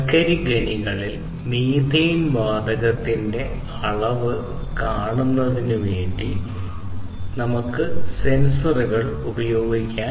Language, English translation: Malayalam, So, for example, methane sensors are used in the mines to detect the increase in methane gas, possible increase in methane gas in coal mines